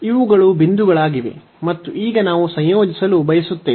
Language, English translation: Kannada, So, these are the points and now we want to integrate